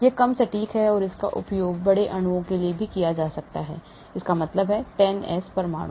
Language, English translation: Hindi, it is less accurate it can be used for large molecules also, that means 100s of atoms